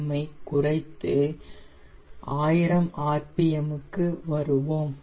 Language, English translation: Tamil, now we will come to thousand rpm